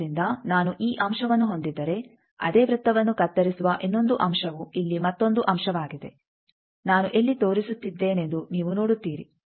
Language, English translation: Kannada, So, if I have this point the other point where the same circle cuts is another point here you see where I am pointing